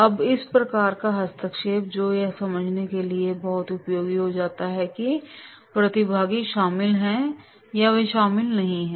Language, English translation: Hindi, Now, this type of the intervention that becomes very much useful to understand whether the participants are involved or they are not involved